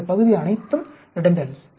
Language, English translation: Tamil, All this portion is all redundance